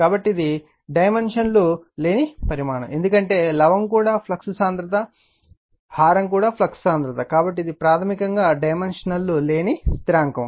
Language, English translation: Telugu, So, it is a dimensionless quantity, because numerator also flux density, denominator also flux density, so it is basically dimensionless constant